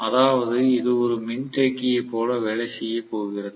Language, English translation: Tamil, Which means it is going to work like a capacitor